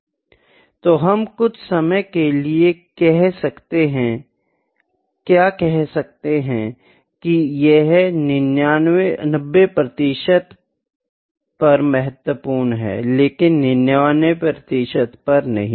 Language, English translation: Hindi, So, what we can say sometime it happens that it is significant at 90 percent, but not 99 percent